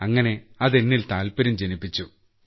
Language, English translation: Malayalam, So just like that my interest grew